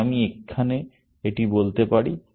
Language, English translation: Bengali, So, I could simply say it here